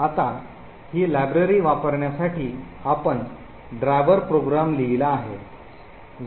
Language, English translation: Marathi, Now, in order to use this library we have written a driver program which is present in driver